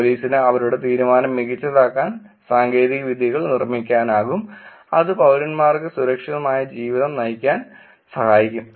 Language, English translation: Malayalam, Technologies can be built to help police make their decision better; it can help citizens have safer lives